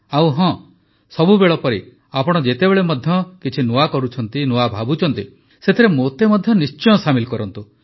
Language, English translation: Odia, And yes, as always, whenever you do something new, think new, then definitely include me in that